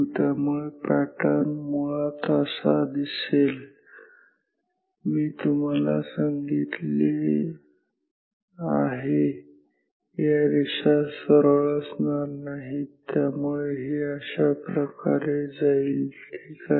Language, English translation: Marathi, So, the pattern will actually look like this, I told you those will not be straight lines